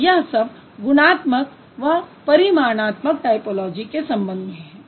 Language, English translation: Hindi, So, this is all this is about the qualitative and the quantitative typology